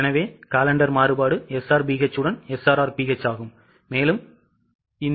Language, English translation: Tamil, So, calendar variance is SRRBH with SRBH